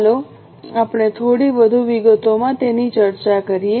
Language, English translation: Gujarati, Let us discuss it in little more details